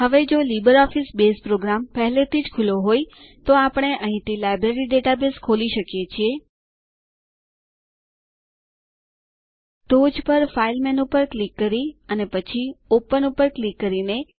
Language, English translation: Gujarati, Now, if LibreOffice Base program is already open, we can open the Library database from here, By clicking on the File menu on the top and then clicking on Open